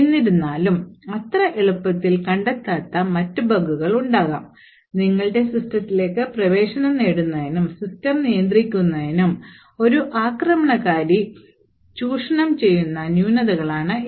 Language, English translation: Malayalam, However, there may be other bugs which are not detected so easily, and these are the bugs which are the flaws that an attacker would actually use to gain access into your system and then control the system